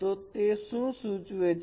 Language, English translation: Gujarati, So what does it signify